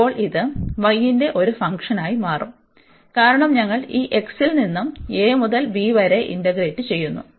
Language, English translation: Malayalam, And now this will become a function of y, so because we have integrated over this x from a to b